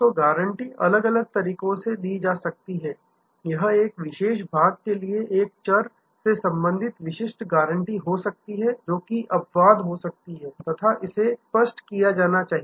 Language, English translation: Hindi, So, guarantees can be given in different ways, it can be single attributes specific guarantee for a particular part that can be exceptions and make it very clear